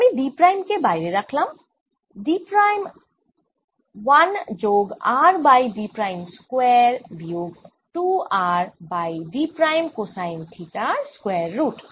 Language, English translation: Bengali, i'll take d prime common out here d prime square root of one plus r over d prime square, minus two r over d prime cosine of theta